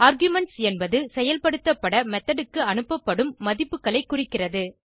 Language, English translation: Tamil, The arguments specify values that are passed to the method, to be processed